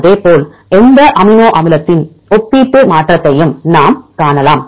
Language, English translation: Tamil, Likewise we can see the relative mutability of any amino acid